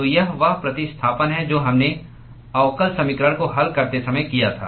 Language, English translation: Hindi, So, that is the substitution that we made when we solved the differential equation